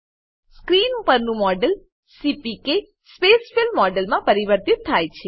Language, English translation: Gujarati, The model on the screen is converted to CPK Spacefill model